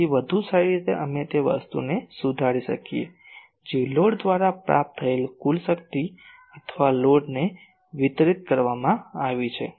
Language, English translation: Gujarati, So, better we can correct the a thing the total power received by the load, or delivered to the load ok